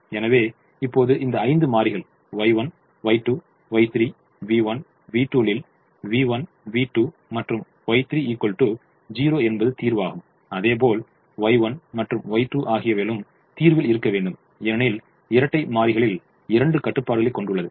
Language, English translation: Tamil, so now, out of these five variables in the dual, y one, y two, y three, v one, v two we have now understood that v one, v two and y three are zero, which means y one and y two have to be in the solution because the dual has two constraints